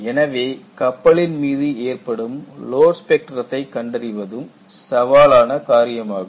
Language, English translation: Tamil, So, finding out the load spectrum itself, is a very challenging task